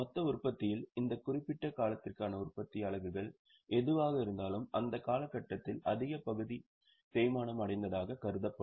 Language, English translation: Tamil, Out of that total production, whatever is a production units for that particular period, that much portion will be depreciated in that period